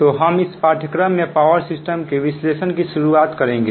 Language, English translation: Hindi, so ah will start this course as power system analysis and ah